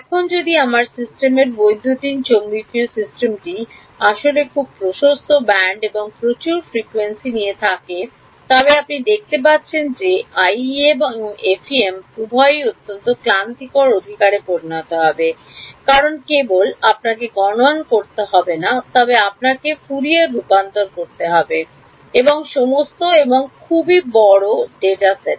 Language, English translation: Bengali, Now, if my system electromagnetic system actually is very wideband lots and lots of frequencies are there then you can see that this both IEM and FEM will become very tedious right because not just you have to do computational n you also have to do then Fourier transforms and all and over very large data sets